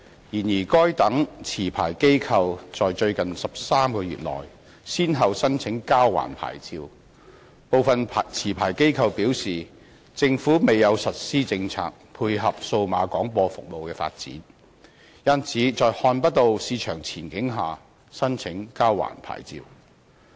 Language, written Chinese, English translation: Cantonese, 然而，該等持牌機構在最近13個月內先後申請交還牌照；部分持牌機構表示，政府未有實施政策配合數碼廣播服務的發展，因此在看不到市場前景下申請交還牌照。, However the past 13 months saw those licensees applying to surrender their licences one after another with some of them indicating that with the absence of policies implemented by the Government to complement the development of DAB services they applied to surrender their licenses as they saw no prospect in the market